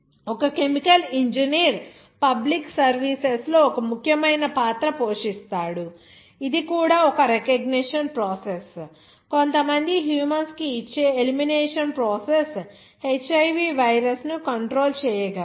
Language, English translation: Telugu, A chemical engineer can you know plays an important role in public services, also like which is a recognition process, elimination process which gives some humans can control the HIV virus